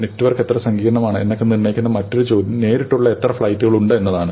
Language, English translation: Malayalam, The other question which determines how complex the network is is how many direct flights there are